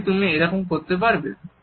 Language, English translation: Bengali, Really you could do that